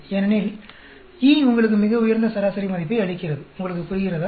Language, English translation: Tamil, Because E gives you the highest average value; you understand